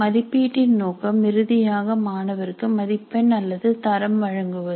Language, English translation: Tamil, The purpose of a summative assessment is to finally give mark or a grade to the student